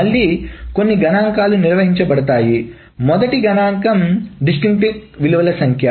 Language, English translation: Telugu, The first statistic is the number of distinct values